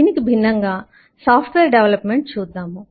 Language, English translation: Telugu, in contrast, let us look at software development